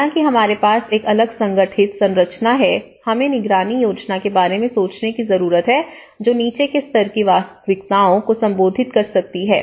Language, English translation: Hindi, Because though, we have a different organized structure, we need to think about the monitoring plan and which can address the bottom level realities to it